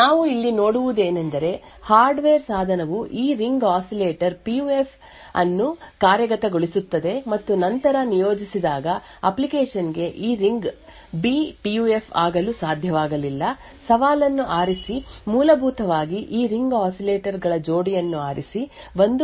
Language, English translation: Kannada, What we see over here is that the hardware device would implement this Ring Oscillator PUF and later when deployed, an application could unable this ring was B PUF, choose a challenge, essentially choose a pair of these ring oscillators, provide an output which is either 1 or 0